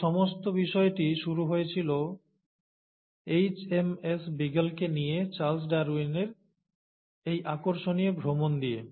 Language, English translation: Bengali, And, it all started with this interesting trip which Charles Darwin took on HMS Beagle